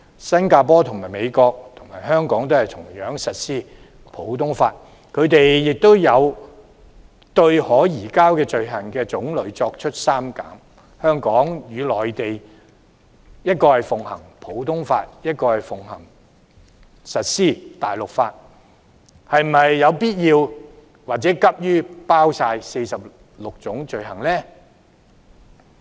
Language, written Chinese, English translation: Cantonese, 新加坡和美國，與香港同樣實施普通法，他們有對可移交的罪種作出刪減，香港與內地分別奉行普通法和大陸法，是否有必要或急於包括全部46種罪類？, As Singapore and the United States which practise common law as in the case of Hong Kong have excluded certain extraditable offences why is it necessary to include all 46 items of offences hastily in the agreement between Hong Kong and the Mainland which practises common law and civil law respectively?